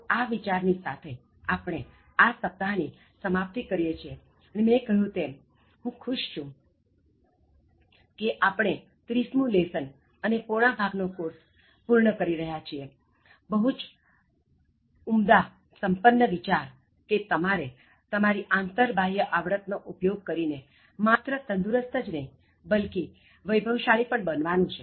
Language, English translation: Gujarati, Now with this thought, we are concluding this week, and as I said, I am happy that we are concluding the 30th lesson and three fourth of the course we are completing, we are completing with a very wealthy rich thought, that you should use all your skills, apply that and then become not only a healthy person, but also very wealthy person